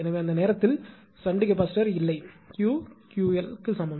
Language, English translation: Tamil, So, at that time this I mean shunt capacitor is not there, it is Q is equal to Q l